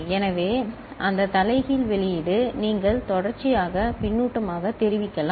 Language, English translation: Tamil, So, that inverted output you can feedback as serially